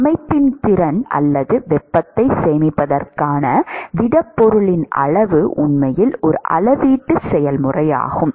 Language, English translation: Tamil, The amount of the capacity of the system or the solid to store heat is actually a volumetric process and not a surface area process